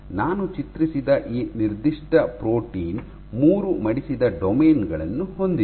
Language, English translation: Kannada, So, this particular protein that I have drawn has three folded domains